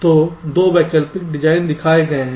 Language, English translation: Hindi, so two alternate designs are shown